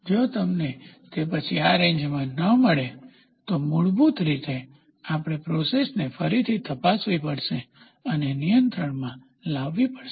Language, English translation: Gujarati, If you do not get it in this range then, it is basically we have to recheck the process and bring it under control